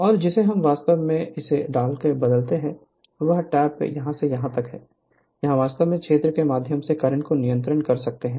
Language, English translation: Hindi, And this your, what you call by changing this by changing, this tap from here to here, what here to here, you can control the current through so the field right